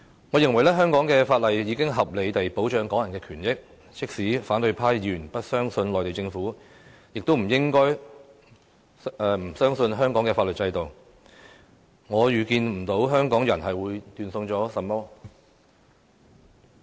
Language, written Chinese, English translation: Cantonese, 我認為香港法例已合理地保障港人的權益，即使反對派議員不相信內地政府，也不應該不相信香港的法律制度，我預見不到香港會斷送甚麼。, I think the laws of Hong Kong can reasonably protect Hong Kong peoples rights . Even if opposition Members distrust the Mainland Government they should not distrust the legal system of Hong Kong and I cannot foresee that Hong Kong will forfeit anything